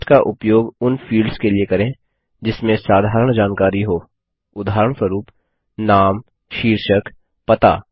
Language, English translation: Hindi, Use text, for fields that have general information, for example, name, title, address